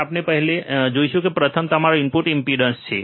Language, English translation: Gujarati, Let us see one by one, the first one that is your input impedance